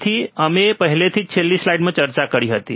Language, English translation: Gujarati, So, this we already discussed in last slide